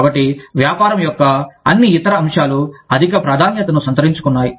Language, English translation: Telugu, So, all of the other aspect of the business, take a higher priority